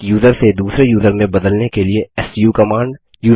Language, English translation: Hindi, su command to switch from one user to another user